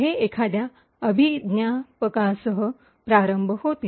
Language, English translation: Marathi, It starts off with an identifier